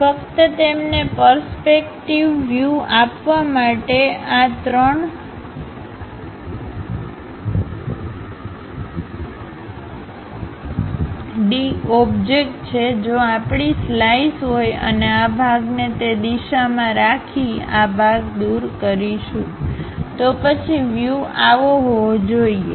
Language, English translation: Gujarati, Just to give you a perspective view, this 3 D object if we are having a slice and keeping this section in that direction, removing this part; then the view supposed to be like that